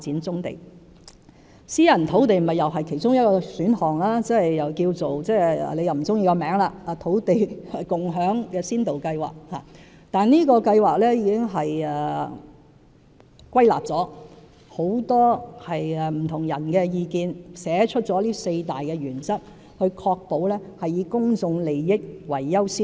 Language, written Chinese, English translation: Cantonese, 此外，私人土地也是其中一個選項，即土地共享先導計劃，雖然郭議員不喜歡這名字，但這項計劃已經考慮了很多不同人士的意見，歸納出四大原則，確保以公眾利益為先。, Moreover private land is also an option . In formulating the Land Sharing Pilot Scheme―a name that Dr KWOK may dislike using―we have in fact considered many different views and generalized them into four main principles in an effort to ensure that public interests would be our principal consideration